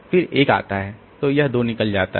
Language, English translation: Hindi, So, this 2 goes out